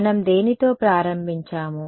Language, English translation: Telugu, So, what did we start with